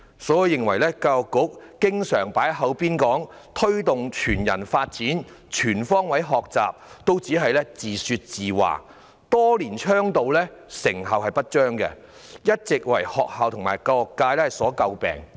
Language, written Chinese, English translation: Cantonese, 所以，我認為教育局常說要推動全人發展和全方位學習，只是自說自話，多年倡導卻成效不彰，一直為學校及教育界所詬病。, The Education Bureau frequently talks about promoting whole - person development and life - wide learning but such statements are merely arbitrary and have proved to be ineffective despite years of advocacy . Such empty talks have all along been criticized by schools and the education sector